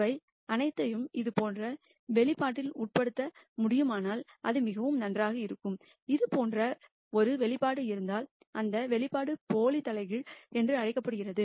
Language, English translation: Tamil, All of them if they can be subsumed in one expression like this it would be very nice and it turns out that there is an expression like that and that expression is called the pseudo inverse